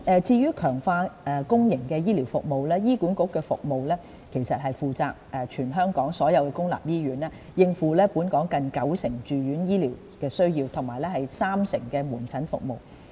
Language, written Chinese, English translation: Cantonese, 至於強化公營醫療服務，醫管局其實負責管理全港所有公立醫院，應付本港近九成住院醫療需要和約三成的門診服務。, As for the strengthening of public healthcare services HA is in fact responsible for managing all public hospitals in Hong Kong catering for nearly 90 % of our citys inpatient healthcare needs and about 30 % of outpatient services